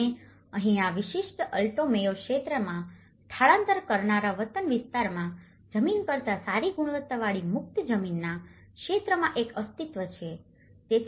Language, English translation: Gujarati, And here, again in this particular Alto Mayo region, there is an existence in the area of free land of a better quality than the land in the migrant’s native area